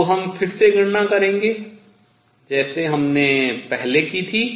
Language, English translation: Hindi, So, again we will do a calculation like what we did earlier